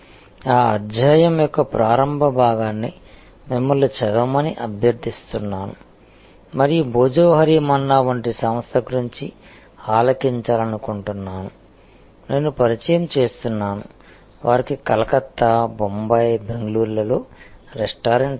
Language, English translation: Telugu, The initial part of that chapter you are requested to be read and I would like it think about that an organization like Bhojohari Manna, I introduce that, they have number of restaurants in Calcutta, in Bombay, Bangalore